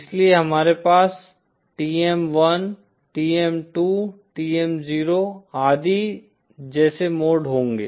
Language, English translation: Hindi, So we will have modes like say TM 1, TM 2, TM 0 and so on